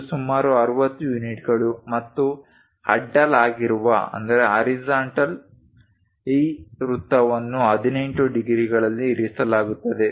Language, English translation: Kannada, It is some 60 units and this circle with horizontal is placed at 18 degrees